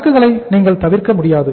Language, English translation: Tamil, You cannot avoid inventories